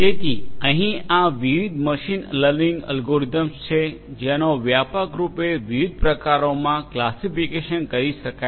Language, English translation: Gujarati, So, there are different machine learning algorithms they can be classified broadly into different types